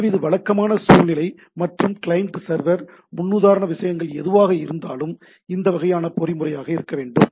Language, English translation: Tamil, So, this is the typical scenario and whenever whether whatever the client server paradigm things are there, that has to be the this sort of mechanism has to be there